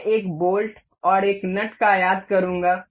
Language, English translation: Hindi, I will be importing one a bolt and a nut